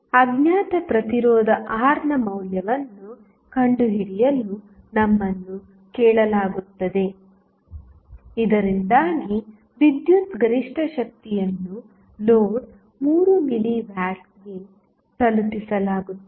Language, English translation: Kannada, So, now, we are not asking for load Rl we are asking for finding out the value of the unknown resistance R so that the power maximum power being delivered to the load 3 milli watt